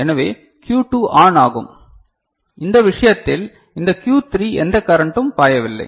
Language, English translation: Tamil, So, the Q2 will become ON and in this case this Q3 no current is flowing